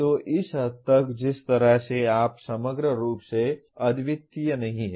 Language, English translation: Hindi, So to that extent the way you aggregate is not necessarily unique